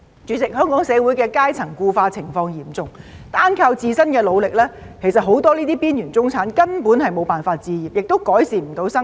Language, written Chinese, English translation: Cantonese, 主席，香港社會階層固化情況嚴重，單靠自身的努力，很多邊緣中產根本無法置業，亦不能改善生活。, President the social class solidification in Hong Kong is so serious that many marginalized middle - class people are actually unable to buy their own homes or improve their living simply by relying on their own efforts